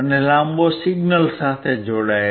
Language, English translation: Gujarati, A longer one is connected to the signal